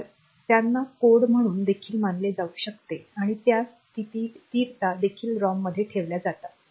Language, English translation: Marathi, So, they can also be treated as code and those constants are also kept in the ROM ok